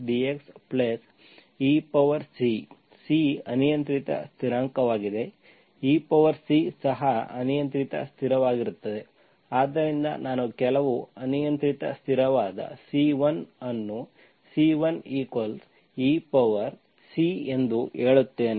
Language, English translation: Kannada, C is the arbitrary constant, e power C is also the arbitrary constant, so I say some arbitrary constant C1 where C1 is e power C